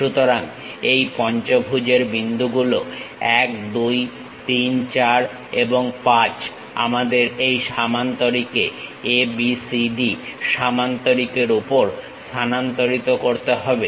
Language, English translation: Bengali, So, the points of the pentagon 1 2 3 4 and 5 we have to transfer that onto this parallelogram ABCD parallelogram